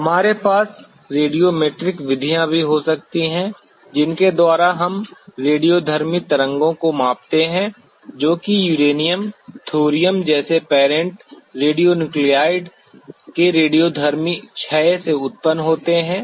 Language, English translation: Hindi, We can also have the radiometric methods by which we measure the radioactive waves which are generating from the radioactive decay of parent radionuclide like uranium, thorium